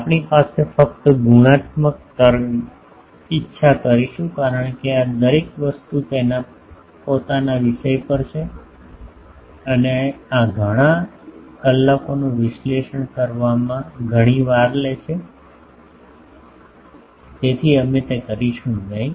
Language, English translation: Gujarati, Here we will do just qualitative wave will a because, this things each is a topic on it is own and it takes several times to analyse these several hours so, we would not do that